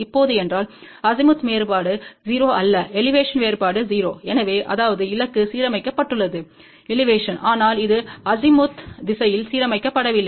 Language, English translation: Tamil, Now if Azimuth difference is not zero, Elevation difference is 0 so; that means, target is aligned in the elevation, but it is not aligned in the Azimuth direction